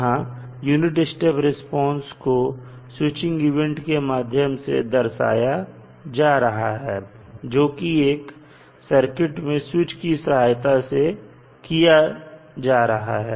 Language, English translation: Hindi, So, this can be represented, the unit step response can be represented with the switching event which is represented with the help of switch in the circuit